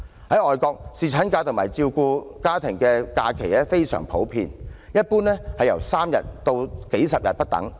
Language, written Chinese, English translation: Cantonese, 在外國，侍產假及照顧家庭的假期非常普遍。一般由3天至數十天不等。, It is indeed a commonplace for overseas countries to provide paternity leave and family leave ranging from three days to several dozens of days